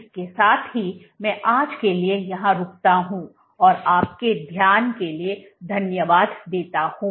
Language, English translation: Hindi, With that I stop here for today and I thank you for your attention